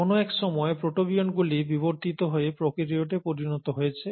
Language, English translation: Bengali, And somewhere down the line, the protobionts would have then evolved into prokaryotes